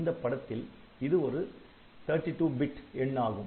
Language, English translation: Tamil, So, they must have a 32 bit value